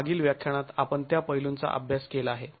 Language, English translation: Marathi, So, we have examined those aspects in the previous lecture